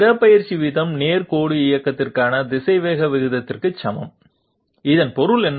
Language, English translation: Tamil, Displacement ratio is equal to velocity ratio for straight line movement, what does this mean